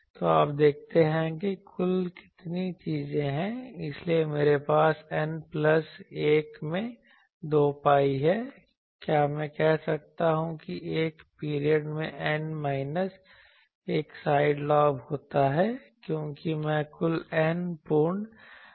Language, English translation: Hindi, So, you see that total how many things, so I have 2 pi into N plus 1 into can I say that N minus 1 side lobes in a period, because I say total N full lobes